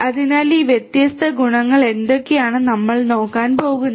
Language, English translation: Malayalam, So, what are these different properties is what we are going to look at